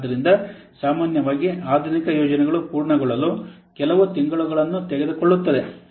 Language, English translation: Kannada, So normally the modern projects typically takes a few months to complete